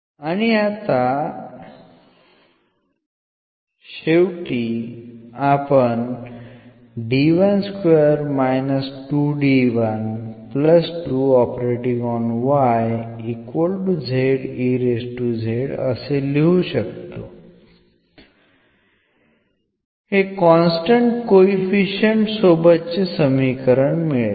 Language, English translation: Marathi, So, this equation now is with constant coefficients